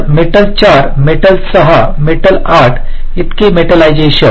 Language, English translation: Marathi, so metal four, metal six, metal eight, so many, metallization